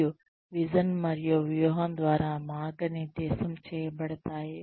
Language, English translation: Telugu, And, are guided by the vision and strategy